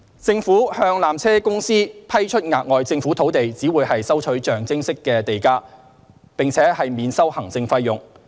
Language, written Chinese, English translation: Cantonese, 政府向纜車公司批出額外政府土地只會收取象徵式地價，並免收行政費用。, The additional Government land would be granted to PTC at nominal land premium and nil administrative fee